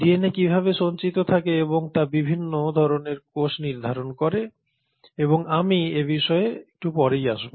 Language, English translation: Bengali, Now, how that DNA is stored is what determines different types of cells and I will come to that a little later